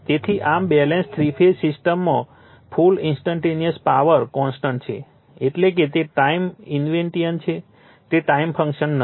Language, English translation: Gujarati, So, thus the total instantaneous power in a balanced three phase system is constant that means, it is time invariant, it is not a function of time right